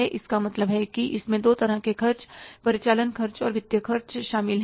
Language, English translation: Hindi, So, it means it includes two kinds of expenses, operating expenses and financial expenses